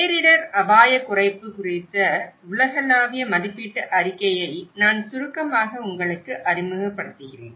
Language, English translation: Tamil, I will briefly introduce you to the Global Assessment Report on disaster risk reduction